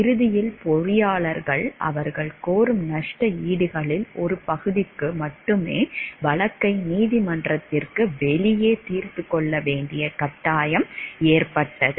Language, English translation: Tamil, Eventually the engineers were forced to settle the case out of the court, only for only a fraction of the damages that they were seeking